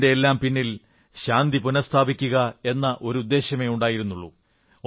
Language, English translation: Malayalam, There has just been a single objective behind it Restoration of peace